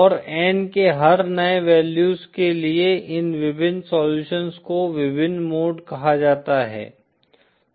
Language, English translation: Hindi, And these various solutions for every new values of N are called the various modes